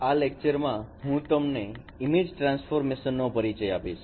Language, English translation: Gujarati, In this lecture I will introduce image transforms